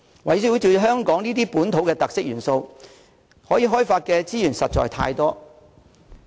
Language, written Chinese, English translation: Cantonese, 圍繞這些香港本土特色元素，可以開發的資源實在太多。, Such local characteristics in Hong Kong can actually offer us abundant resources for development